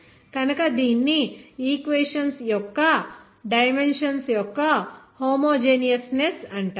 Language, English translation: Telugu, So it is called homogeneousness of the dimensions of the equation